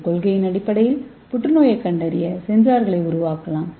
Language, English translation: Tamil, So based on that we can make a sensor for cancer detection